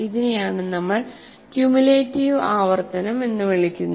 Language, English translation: Malayalam, That is what we call cumulative repetition